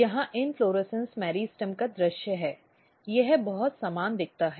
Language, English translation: Hindi, So, here is the view of inflorescence meristem so, it looks very similar